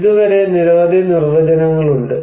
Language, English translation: Malayalam, So far, we have so many definitions are there